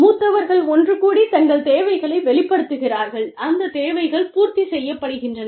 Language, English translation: Tamil, Senior people, get together, express their needs, and those needs are fulfilled